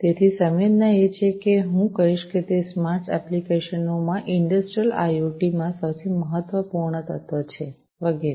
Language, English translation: Gujarati, So, sensing is I would say that it is the most important element in industrial IoT in smart applications, and so on